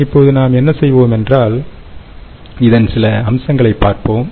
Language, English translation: Tamil, all right, so what we will do now is look at some of the features